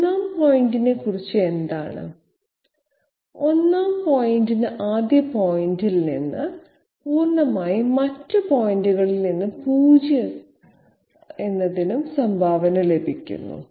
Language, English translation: Malayalam, What about the 1st point; 1st point gets contribution from the first point fully and from the other points 0